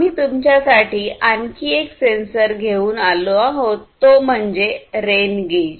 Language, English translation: Marathi, Then, we I have also brought for you another sensor which is the rain gauge right